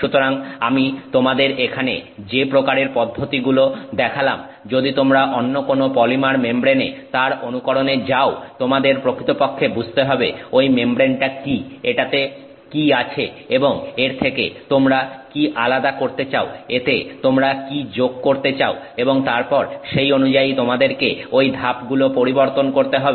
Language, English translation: Bengali, So if you are trying some other polymer membrane to mimic this kind of procedure that I am showing you here, you have to understand clearly what is that membrane, what is present in it and what is it you would like to remove from it, what is it that you would like to add to it and then those steps will have to be modified accordingly